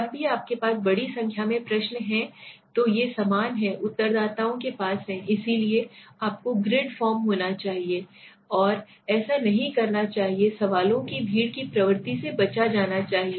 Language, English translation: Hindi, Whenever as I said here right, whenever you have large number of questions these are similar respondents have space so you should be grid form should be there right, and do not the tendencies to crowd questions should be avoided, right